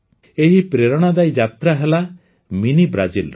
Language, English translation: Odia, This is the Inspiring Journey of Mini Brazil